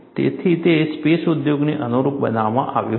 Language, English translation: Gujarati, So, that was tailor made to space industry